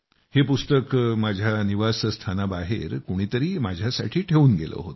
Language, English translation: Marathi, Someone had left this book for me outside my residence